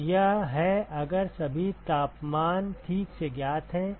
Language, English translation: Hindi, So, this is if all the temperatures are known ok